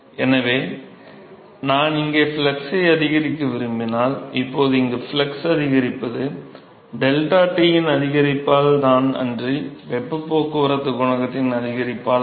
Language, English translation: Tamil, Now increase in the flux here is because of the increase in the delta T and not because of the increase in the heat transport coefficient